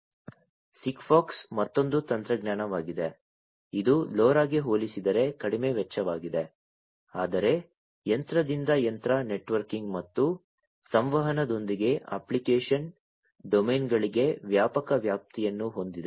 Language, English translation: Kannada, SIGFOX is another technology which is compared to LoRa low cost, but has wider coverage for application domains with machine to machine networking and communication